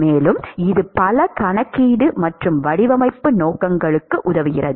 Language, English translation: Tamil, And also, it helps in many calculation and design purposes